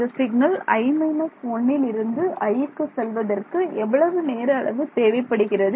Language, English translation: Tamil, So, time required physical time required for the signal to go from i minus 1 to i